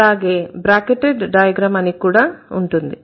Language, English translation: Telugu, There is also something called bracketed diagram